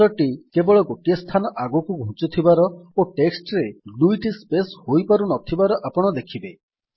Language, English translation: Odia, You see that the cursor only moves one place and doesnt allow double spaces in the text